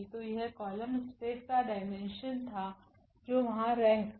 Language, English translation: Hindi, So, that was the dimension of the column space that was the rank there